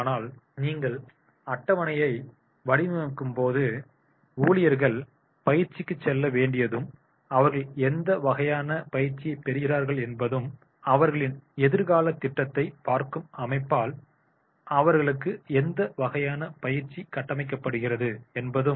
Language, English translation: Tamil, So, but when we are designing the calendar, the employees are very clear when they are supposed to go for the training and what type of the training they acquire for and what type of the training is made compulsory for them by the organization looking to their future planning and succession planning